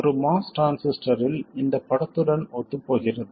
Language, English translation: Tamil, So a MOS transistor does in fact fit the bill